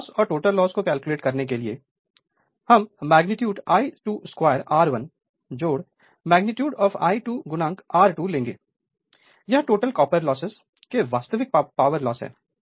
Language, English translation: Hindi, So, here loss and the total loss is so, magnitude that I 2 square into R 1 plus your magnitude here I 2 magnitude into R 2, this is a total copper loss right real power loss